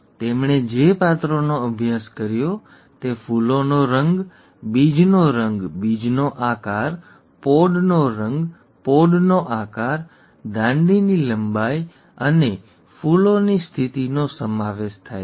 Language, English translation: Gujarati, The characters that he studied were flower colour, seed colour, seed shape, pod colour, pod shape, stem length and the flower position